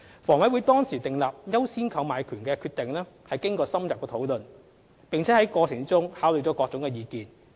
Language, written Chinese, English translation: Cantonese, 房委會當時訂立"優先購買權"的決定經過深入討論，並在過程中考慮了各種意見。, HAs decision then to grant the right of first refusal had gone thorough in depth deliberation and taken into account a variety of views during the process